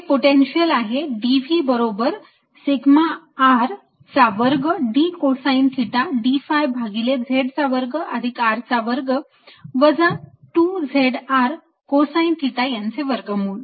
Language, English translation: Marathi, d v is equal to sigma r square d cosine theta d phi over z square plus r square minus two z r cos theta